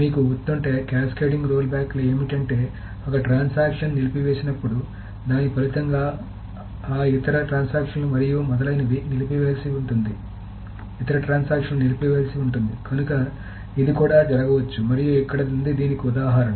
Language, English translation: Telugu, If you remember the cascading rollbacks is that when one transaction aborts, other transaction has to abort as a result of that, and then some other transactions may have to abort and so on so forth, so that may also happen